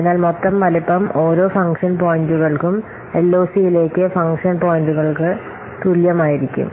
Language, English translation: Malayalam, So, the total size will be equal to the function points into LOC per function point